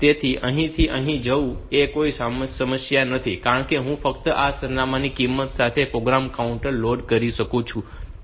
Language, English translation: Gujarati, So, going from here to hear is not a problem, because I can just load the program counter with the value of this address